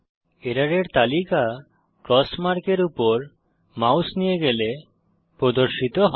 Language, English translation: Bengali, The list of errors is displayed by hovering the mouse over the cross mark